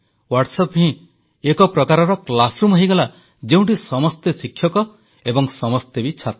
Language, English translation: Odia, So, in a way WhatsApp became a kind of classroom, where everyone was a student and a teacher at the same time